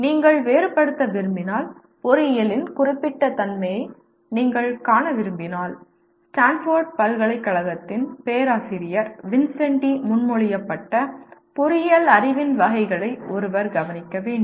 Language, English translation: Tamil, If you want to differentiate, if you want to see the specific nature of engineering one has to address the categories of engineering knowledge as proposed by Professor Vincenti of Stanford University